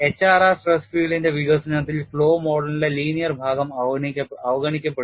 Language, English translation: Malayalam, In the development of HRR stress field concept the linear portion of the flow model is conveniently ignored